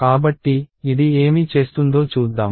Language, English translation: Telugu, So, let us see what this means